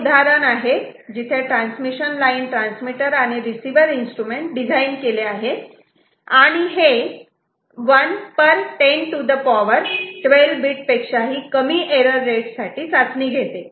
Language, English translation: Marathi, So, here is an example where instruments transmission line transmitter and receiver designed, and it is tested for bit error rate less than 1 per 10 to the power 12 bits, you can imagine that this is this does not happen very often